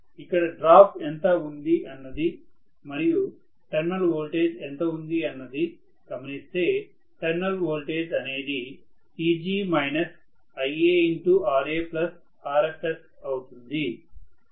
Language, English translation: Telugu, So, if I look at what is the drop and what is terminal voltage, the terminal voltage is going to be Eg minus Ia multiplied by Ra plus Rfs, Right